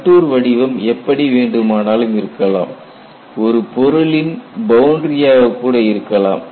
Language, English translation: Tamil, And the contour can be anything; it can follow the boundary of the object also